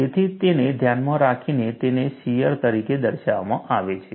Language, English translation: Gujarati, So, keeping that in mind, it is shown as a shear